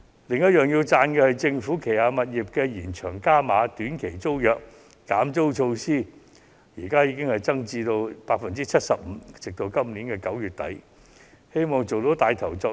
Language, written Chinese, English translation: Cantonese, 此外，我要稱讚政府為旗下的短期租賃物業減租，寬減額更增至 75%， 直至今年9月底為止。, Besides I have to commend the Government for offering rental concessions to tenants occupying government premises on a short - term basis and even better it has increased the concessions to 75 % till the end of September